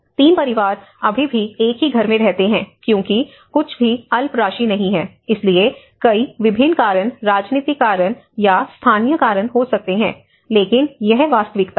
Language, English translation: Hindi, Three families still live in the same house because whatever the meager amount is not, so there might be many various reasons or political reasons or the local reasons, but this is the reality